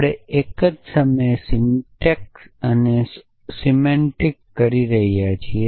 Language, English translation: Gujarati, We are doing syntax and semantics at the same time